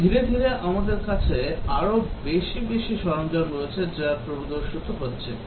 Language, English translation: Bengali, And slowly we have more and more tools are which are appearing